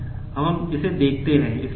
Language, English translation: Hindi, Now, let us see it